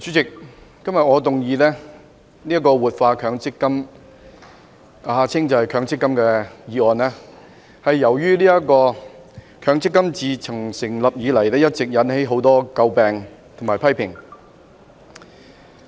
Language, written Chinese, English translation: Cantonese, 主席，今天我動議"活化強制性公積金"的議案，是由於強制性公積金制度自成立以來，一直為人所詬病和引起很多批評。, President today I move the motion on Revitalizing the Mandatory Provident Fund as the Mandatory Provident Fund MPF System has come under censure and has long been a subject of criticism since its establishment